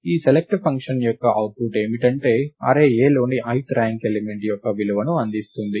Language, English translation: Telugu, The output of this select function is to return the value of the ith ranked element in the array A